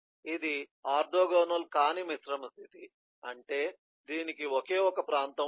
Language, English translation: Telugu, this is non orthogonal composite state, which means that this has only one region